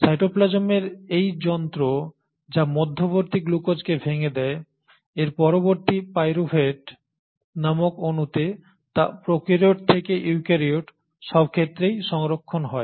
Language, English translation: Bengali, This machinery in cytoplasm which breaks down glucose intermediate, to its intermediate molecule called pyruvate is conserved across prokaryotes to eukaryotes